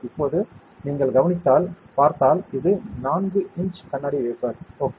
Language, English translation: Tamil, Now, if you see if you observe, this is a 4 inch glass wafer, ok